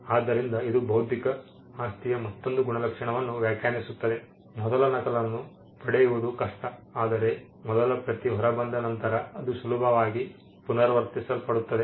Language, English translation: Kannada, So, this defines yet another trait of intellectual property right it is difficult to get the first copy out, but once the first copy is out it is easily replicable